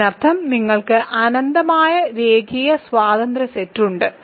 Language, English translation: Malayalam, That means, you have, a you have an infinite linear independent set